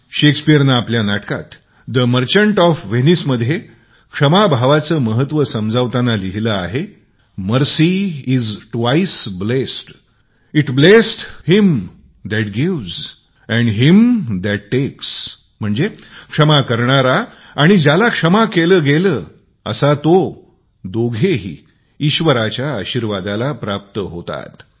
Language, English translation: Marathi, Shakespeare in his play, "The Merchant of Venice", while explaining the importance of forgiveness, has written, "Mercy is twice blest, It blesseth him that gives and him that takes," meaning, the forgiver and the forgiven both stand to receive divine blessing